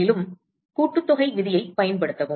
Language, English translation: Tamil, And, use the summation rule the same thing